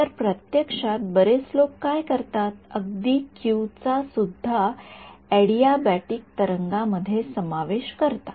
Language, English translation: Marathi, So, actually many people what they do is even q is may is introduced in a adiabatic wave